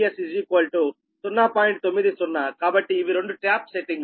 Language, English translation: Telugu, so this two are tap settings